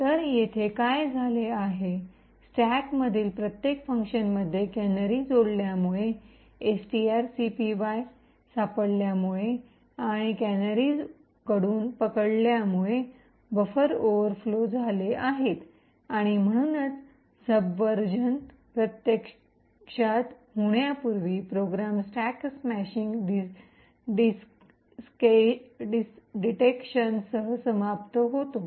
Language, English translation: Marathi, So what has happened here is due to the addition of the canaries in each function in the stack the buffer overflows due to the string copy gets detected and caught by these canaries and therefore before subversion actually happens, the program terminates with a stack smashing detection